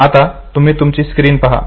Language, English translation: Marathi, Now look at your screen